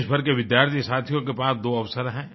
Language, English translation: Hindi, Student friends across the country have two opportunities